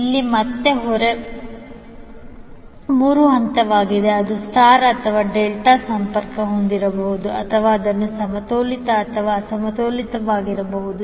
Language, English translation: Kannada, Here again, the load is three phase it can be star or Delta connected or it can be balanced or unbalanced